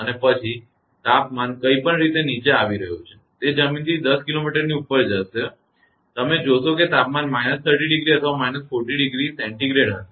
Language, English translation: Gujarati, And after that temperature is falling like anything and it will it will go 10 kilometer above the ground you will find temperature will be minus 30 or minus 40 degree Celsius